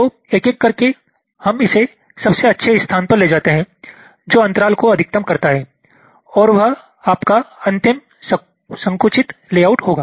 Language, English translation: Hindi, so one by one we you move it to the best location which maximizes the gap and that will be your final compacted layout